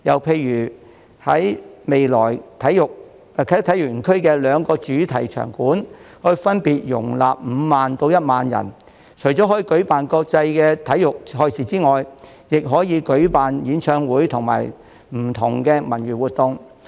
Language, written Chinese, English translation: Cantonese, 此外，未來啟德體育園的兩個主場館分別可容納5萬人及1萬人，除可舉辦國際體育賽事外，亦可舉辦演唱會及不同的文娛活動。, Besides Kai Tak Sports Park will boast a 50 000 - seat main stadium and a 10 000 - seat indoor main arena which may be used not only for international sports events but also for concerts and various cultural and entertainment events